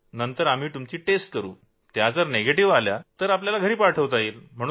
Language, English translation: Marathi, Then we will tell them that after tests which are bound to report as negative and then they can be send home